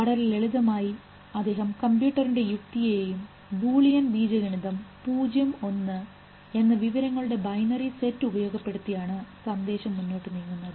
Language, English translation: Malayalam, The very simple thing, he used the logic of a computer and the logic of what we, you know as Boolean algebra, 0,1 binary set of information which keeps the signal going